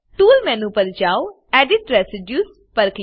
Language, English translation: Gujarati, Go to Tools menu click on Edit residues